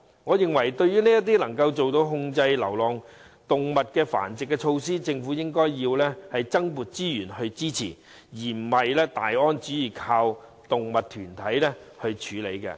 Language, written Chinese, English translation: Cantonese, 我認為對於能有效控制流浪動物繁殖的措施，政府應增撥資源支持，而不是"大安旨意"依靠動物團體來處理。, I think the Government should allocate additional resources to support measures which can effectively control breeding of stray animals; it should not merely rely on animal protection groups to handle the problem